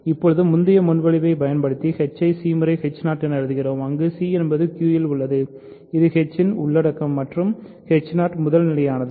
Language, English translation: Tamil, Now using the previous proposition, we write h as c times h 0 where c is in Q which is the content of h and h 0 is primitive